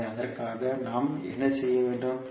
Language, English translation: Tamil, So for that what we have to do